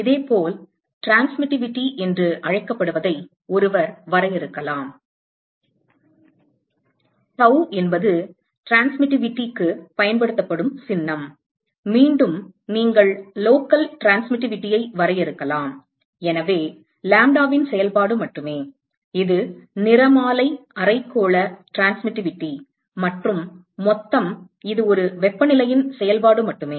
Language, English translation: Tamil, Similarly, one could define what is called the transmitivity, tau is the symbol that is used for transmitivity, once again you can define local transmitivity, so, only a function of lambda, which is the spectral hemispherical transmitivity and total which is only a function of temperature